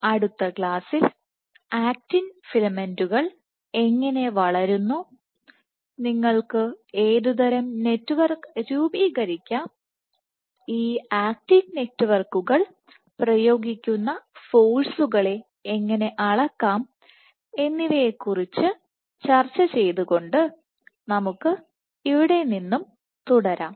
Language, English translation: Malayalam, So, in next class we will continue from here when discuss how actin filaments grow, what kind of network you can form, and how can you measure the forces exerted by these actin networks